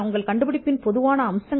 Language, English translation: Tamil, The general features that are common to your invention